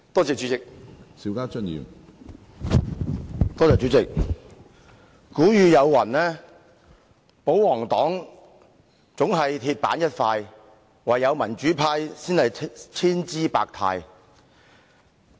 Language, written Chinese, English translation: Cantonese, 主席，有人說："保皇黨總是鐵板一塊，唯有民主派才是千姿百態"。, Chairman some said that the royalists are always inflexible and only the democrats are fascinating